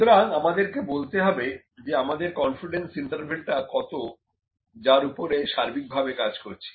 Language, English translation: Bengali, So, we have to tell that what is our confidence interval in which we are working overall